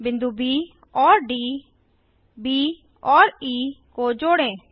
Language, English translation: Hindi, Join points B, D and B , E